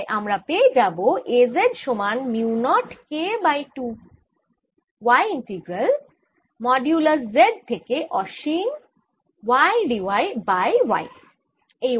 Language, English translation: Bengali, so i get a z is equal to mu naught k over two y integral modulus of z to infinity